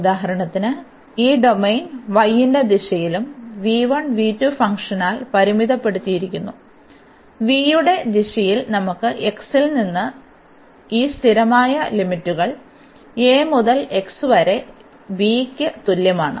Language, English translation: Malayalam, So, for example, this domain is bounded by the function v 1 and v 2 in the direction of y; and in the direction of y we have these constant limits from x is equal to a to x is equal to b